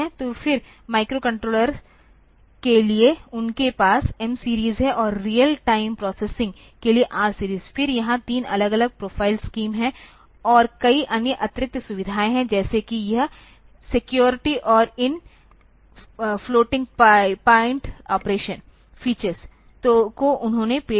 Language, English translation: Hindi, So, then for the microcontrollers they have M series and for real time processing there R series, that there are three different profile scheme, and many other additional features, like say this security and these floating point operation features they got introduced